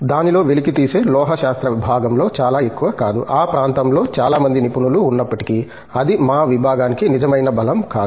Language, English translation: Telugu, Not, too much into the extractive metallurgy part of it, though there were few experts in that area too, but that has not been real strength of our department